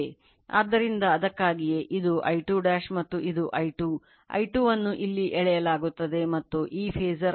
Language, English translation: Kannada, So, that is why this is my I 2 dash and this is I 2, I 2 is drawn here this phasor is I 2, this phasor is I 2